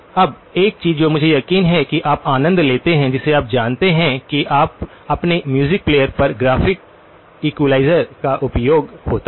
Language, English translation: Hindi, Now, one of the things that that I am sure you enjoy you know using in on your music players is the graphic equalizer